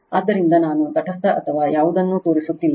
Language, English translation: Kannada, So, I am not showing a neutral or anything